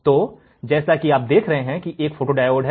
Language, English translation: Hindi, So, this is a photodiode as you can see